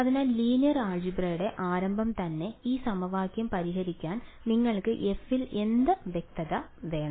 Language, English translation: Malayalam, So, very beginning of linear algebra what do you say should be a condition on f for you to be able to solve this equation